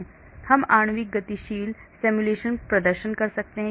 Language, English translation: Hindi, so we can perform molecular dynamic simulations